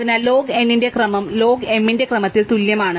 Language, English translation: Malayalam, So, order of log n is the same as order of log m